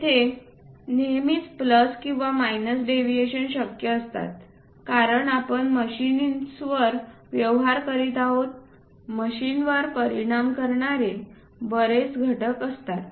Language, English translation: Marathi, There are always be plus or minus deviations possible, because we are dealing with machines, there are many factors which influences this machine